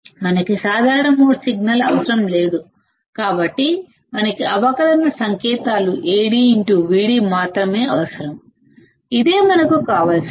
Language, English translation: Telugu, Because we do not require common mode signal, we only require the differential signals Ad into Vd, this is what we require